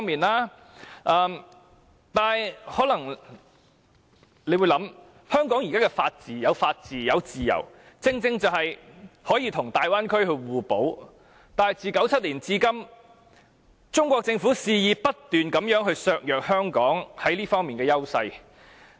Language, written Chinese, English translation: Cantonese, 不過，大家可能會考慮，香港現在有法治及自由，正正可與大灣區互補，但自1997年至今，中國政府卻不斷肆意削弱香港在這些方面的優勢。, Nevertheless Members may think that Hong Kongs existing rule - of - law system and various freedoms can precisely enable it to achieve complementarity with the Bay Area . But since 1997 the Chinese Government has not ceased its blatant attempts to undermine Hong Kongs advantages in these aspects